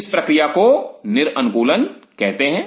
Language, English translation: Hindi, This process is called the de adaptation